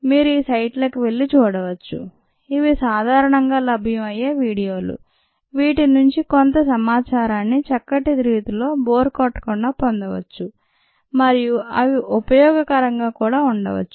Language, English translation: Telugu, you could go through these sites, which are commonly available videos and ah get some information in a nice way, in a non boring way, and ah